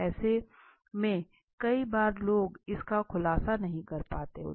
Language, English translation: Hindi, So many a times people are not able to reveal this